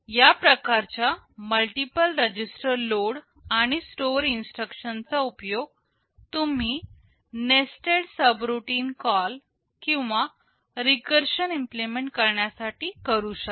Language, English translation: Marathi, This kind of a multiple register load and store instruction you can use to implement nested subroutine call or even recursion